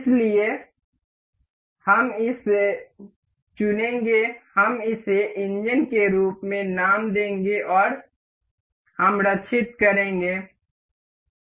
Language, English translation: Hindi, So, we will select this we will name this as engine and we will save